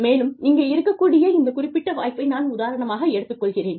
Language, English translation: Tamil, And, I will take the example of this particular opportunity, that we have here